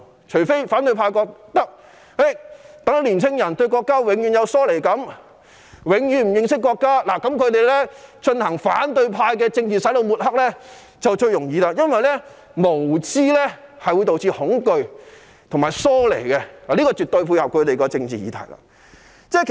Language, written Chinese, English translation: Cantonese, 除非反對派認為讓年輕人永遠對國家有疏離感、永遠對國家不認識，這樣他們便輕易進行反對派的政治"洗腦"、抹黑，因為無知會導致恐懼和疏離，絕對配合到他們的政治議題。, I wonder if the opposition camp wants the young people to feel alienated from the country and know nothing about the country forever so that it can carry out political brainwashing and smearing easily . Ignorance breeds fear and alienation which fits in perfectly with their political agenda